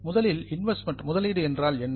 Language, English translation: Tamil, First of all, what is meant by investment